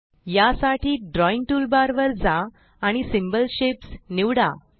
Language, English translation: Marathi, To do this, go to the drawing toolbar and select the Symbol Shapes